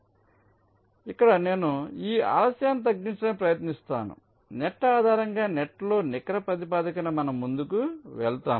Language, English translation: Telugu, so i will be trying to minimize the delay of this net like that, on a net by net basis we shall proceed